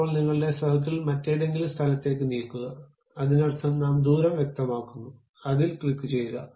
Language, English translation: Malayalam, Now, move your circle to some other location, that means, we are specifying radius, click that